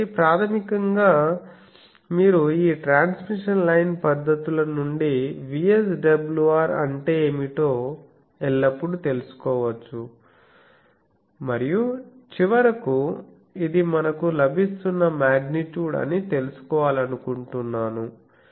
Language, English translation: Telugu, So, basically you can always find out what is the VSWR from these transmission line techniques and finally we want to know that this is the magnitude we are getting